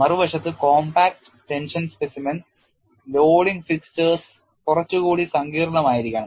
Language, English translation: Malayalam, On the other hand, the compact tension specimen loading fixtures have to be little more sophisticated